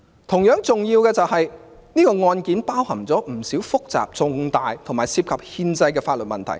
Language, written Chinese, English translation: Cantonese, 同樣重要的是，這宗案件包含不少複雜、重大和涉及憲法的法律問題。, Will anyone find her decision convincing? . Equally important is that this case involves quite many complex and major points of law that are constitution - related